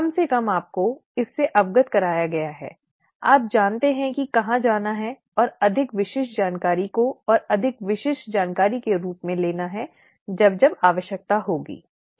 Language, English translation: Hindi, At least you have been exposed to this, you know where to go and pick up more information more specific information as and when the need arises, okay